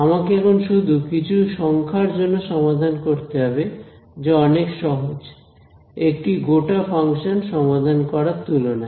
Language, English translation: Bengali, I am just have to I just have to solve for a bunch of number which is much much easier than solving for a whole entire function